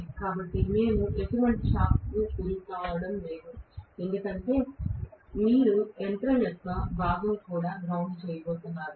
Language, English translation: Telugu, So, that we are not going to get any shock because you are going to have the the body of the machine also being grounded